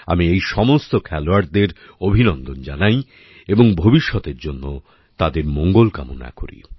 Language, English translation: Bengali, I also congratulate all these players and wish them all the best for the future